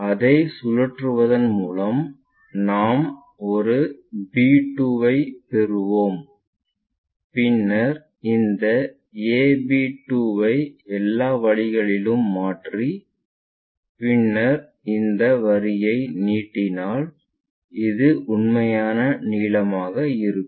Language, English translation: Tamil, By rotating it so, that I will get a b 2 then transfer that a b 2 all the way up, then extend this line get this one, this will be the true length